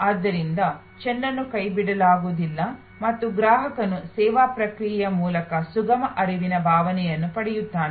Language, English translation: Kannada, So, that the ball is not dropped and the customer gets a feeling of a smooth flow through the service process